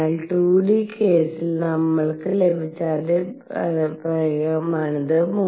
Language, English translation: Malayalam, So, this is exactly the same expression that we had obtained in 2 d case